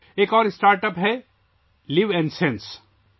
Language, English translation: Urdu, Another startup is LivNSense